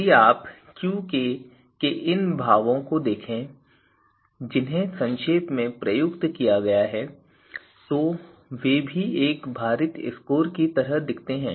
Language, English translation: Hindi, So, if you see these two expression of Qk which have been summed, so they also look like you know a weighted scores here